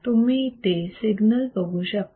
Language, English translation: Marathi, So, you see here is the signal